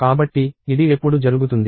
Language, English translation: Telugu, So, when will this happen